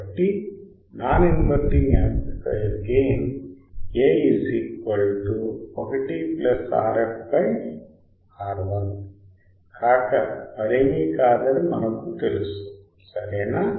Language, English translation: Telugu, So, non inverting amplifier gain we know gain is nothing, but A equal to 1 by R f by R I right